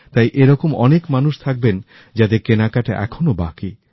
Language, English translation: Bengali, So there will be many people, who still have their shopping left